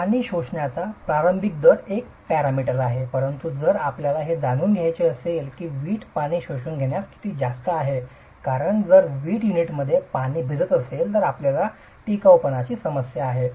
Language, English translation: Marathi, The initial rate of water absorption is one parameter but if you want to know how much is the brick going to absorb water as such because you have a durability problem if the brick unit is going to be soaking water